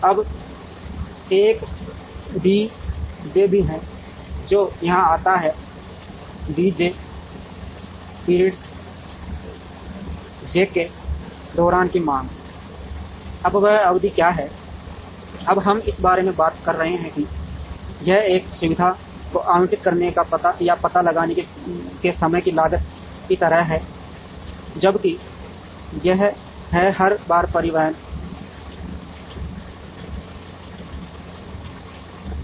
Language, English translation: Hindi, Now, there is also a D j, which comes here D j is the demand during period j, now what is the period that, we are talking about now this is like a onetime cost of allocating or locating a facility whereas, this is incurred every time there is transportation